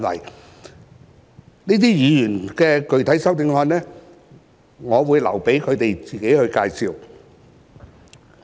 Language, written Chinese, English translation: Cantonese, 該等議員的具體修正案，我會留待他們自己介紹。, I will let these Members to introduce their specific amendments